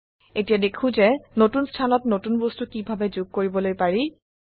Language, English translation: Assamese, Now let us see how we can add a new object to a new location